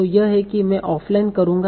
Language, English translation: Hindi, So, this is, this I will do offline